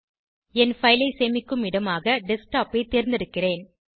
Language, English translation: Tamil, I am choosing Desktop as the location for saving my file